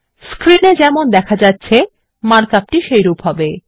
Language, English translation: Bengali, And the mark up looks like as shown on the screen